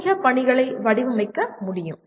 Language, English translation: Tamil, It is possible to design such assignments